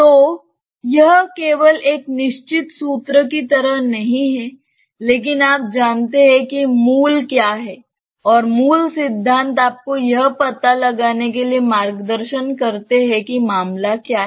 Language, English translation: Hindi, So, it is not just like a fixed formula, but you know what is the basic principle we have discussed enough numbers of examples to see that what is the basic principle and that basic principle should guide you to find out that what is the case